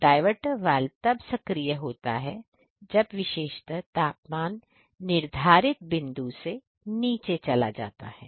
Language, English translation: Hindi, The diverter valve is activated when the particular heating temperatures, goes below the set points ah